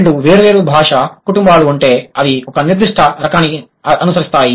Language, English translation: Telugu, And if two different language families but they follow a certain type, what could be the possible reasons